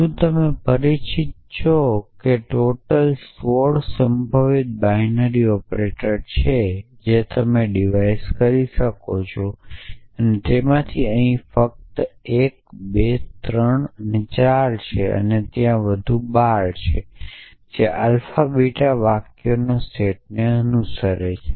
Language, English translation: Gujarati, So, I So, is your familiar that there are sixteen possible binary operates that you can device and these are only one 2 3 4 of them and there are 12 more which so if alpha beta belongs to the set of sentences